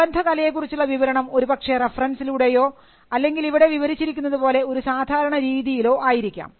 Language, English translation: Malayalam, So, description of the related art could be through reference or it could also be through a general way as it is described here